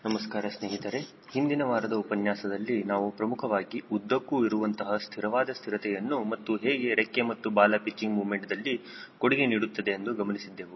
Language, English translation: Kannada, in the last week lecture we mainly focused on longitudinal static stability and how your wing and tail contributed to pitching moment